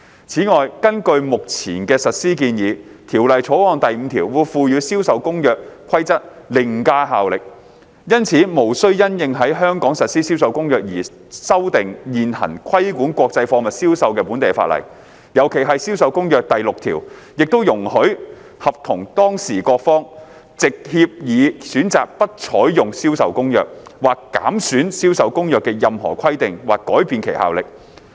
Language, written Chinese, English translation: Cantonese, 此外，根據目前的實施建議，《條例草案》第5條會賦予《銷售公約》規則凌駕效力，因此無需因應在香港實施《銷售公約》而修訂現行規管國際貨物銷售的本地法例，尤其是《銷售公約》第6條亦容許合同當事各方藉協議選擇不採用《銷售公約》，或減損《銷售公約》的任何規定或改變其效力。, In addition under the current implementation proposal clause 5 of the Bill would confer an overriding effect on the provisions of CISG it is therefore not necessary to amend the existing local legislation governing the sale of international goods in the light of the implementation of CISG in Hong Kong . In particular article 6 of CISG also allowed the parties to opt out of CISG by agreement or to derogate from or vary the effect of any provision of CISG